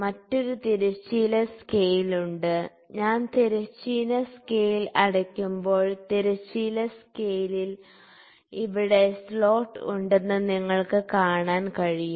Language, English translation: Malayalam, And, there is another horizontal scale, when I close the horizontal scale you can see that there is slot here in the horizontal scale